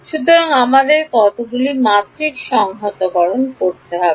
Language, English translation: Bengali, So we have to do what how many dimensional integration